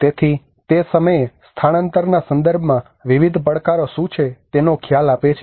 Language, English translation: Gujarati, So it will give you an idea of what are the various challenges in the relocation context